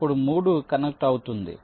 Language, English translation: Telugu, then three will be connected